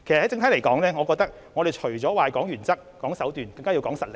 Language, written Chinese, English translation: Cantonese, 整體而言，我認為除了談原則和手段外，更加要講求實力。, In general apart from talking about principles and tactics I think we must also rely on our strength